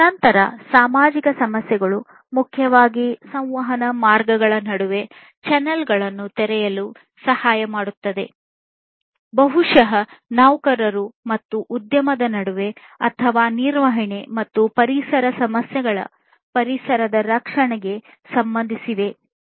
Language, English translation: Kannada, Then social issues, which will essentially help in opening channels between channels of communication, maybe between employees and the enterprise or the management and environmental issues will concern the protection of the environment